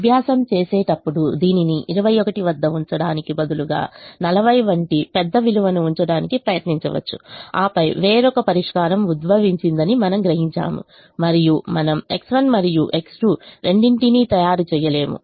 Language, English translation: Telugu, as a matter of exercise, one can try, instead of keeping this at at twenty one, one can try keeping a large value like forty, and then we will realize that some other solution has emerged and we will not be making both x one and x two